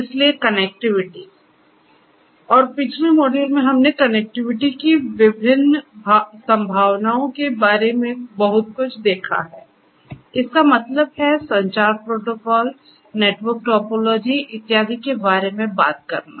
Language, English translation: Hindi, So, connectivity and in the previous module we have seen a lot about the different possibilities of connectivity; that means, talking about communication protocols network topologies and so on and so forth